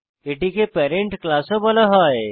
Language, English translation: Bengali, It is also called as parent class